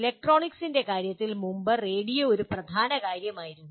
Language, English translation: Malayalam, In the case of electronics you can see earlier radio was a dominant thing